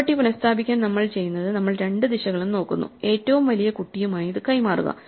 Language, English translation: Malayalam, To restore the property what we do is, we look at both directions right and we exchange it with the largest child